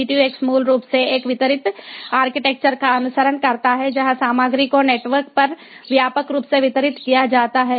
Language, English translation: Hindi, v two x basically follows a distributed architecture where the contents are widely distributed over the network, so content based communication